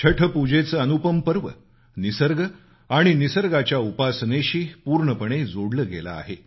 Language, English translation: Marathi, The unique festival Chhath Pooja is deeply linked with nature & worshiping nature